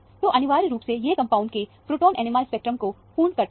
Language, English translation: Hindi, So, essentially, this satisfies the proton NMR spectrum of the compound